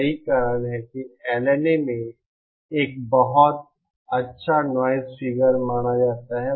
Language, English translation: Hindi, That is why LNA is supposed to have a very good noise figure